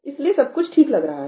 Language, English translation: Hindi, So, everything seems fine, right